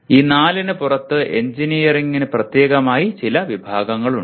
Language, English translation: Malayalam, And there are some categories specific to engineering outside these four